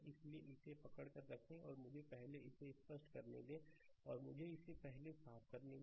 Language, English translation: Hindi, So, just hold on ah this is just let me clear it first, right, let me clear it first